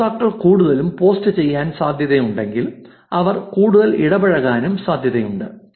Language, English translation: Malayalam, If the users are likely to post more; they are likely to interact more also